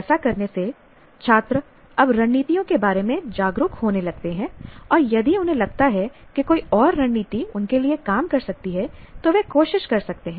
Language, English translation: Hindi, So by doing that, people now, the students now start becoming aware of the strategies and if they feel somebody else's strategy may work out for him, you may try that